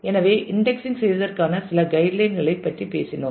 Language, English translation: Tamil, So, we talked about a few guidelines for indexing